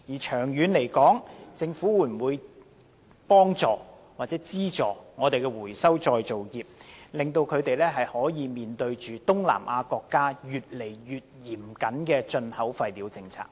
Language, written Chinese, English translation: Cantonese, 長遠而言，政府會否協助或資助回收再造業應對東南亞國家越趨嚴格的進口廢料政策？, In the long run will the Government assist or subsidize the recycling industry in coping with the increasingly stringent policies on imported waste in Southeast Asian countries?